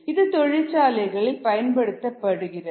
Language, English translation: Tamil, this is used in the industry